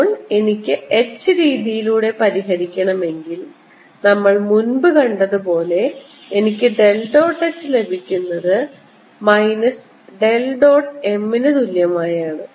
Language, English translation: Malayalam, now if i want to solve through h method, i get del dot h is equal to minus del dot m and we have already seen